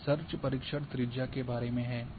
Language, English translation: Hindi, This is about the search radius